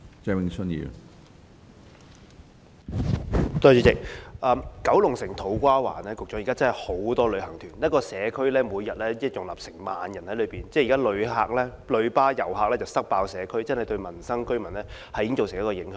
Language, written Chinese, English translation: Cantonese, 主席，我想向局長說，九龍城的土瓜灣現時真的有很多旅行團，一個社區每天要容納1萬人，現時的"旅巴遊客""塞爆"社區，對民生及居民已經造成影響。, President may I tell the Secretary that with an influx of tour groups to To Kwa Wan in Kowloon City about 10 000 tourists are received by one single community which is crammed with visitors coming by coaches every day seriously affecting the daily lives of residents